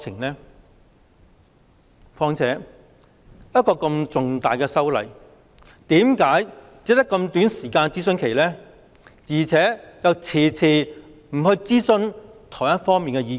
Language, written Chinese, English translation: Cantonese, 再者，一項如此重大的修例建議，為何諮詢期只有這麼短，而且遲遲未有諮詢台灣方面的意見？, Moreover for such a significant legislative amendment proposal how come the consultation period is so short and the Taiwan side has never been consulted